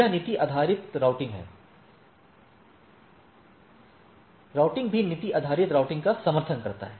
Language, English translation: Hindi, So, it is policy based routing, right also supports policy based routing